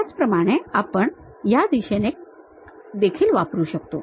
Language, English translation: Marathi, Similarly, we can use in this direction also